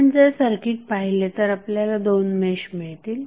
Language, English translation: Marathi, If you see the circuit you will get two meshes in the circuit